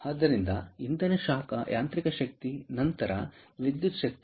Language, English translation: Kannada, ok, so fuel, heat, mechanical energy, then electrical energy